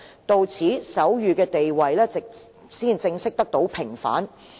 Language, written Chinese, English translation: Cantonese, 到此，手語的地位才正式得到平反。, And the status of sign language was formally reinstated at that point